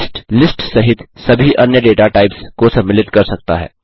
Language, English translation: Hindi, List can contain all the other data types, including list